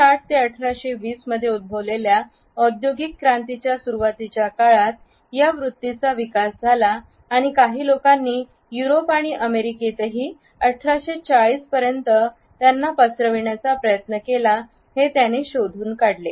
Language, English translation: Marathi, He has traced the development of this attitude to the early days of industrial revolution which had occurred during 1760 to 1820 and some people a stretch it to 1840 also in Europe and the USA